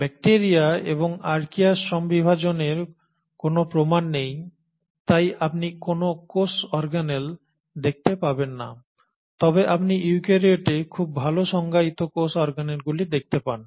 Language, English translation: Bengali, There is no evidence of any division of labour in bacteria and Archaea so you do not see any cell organelles, but you see very well defined cell organelles in eukaryotes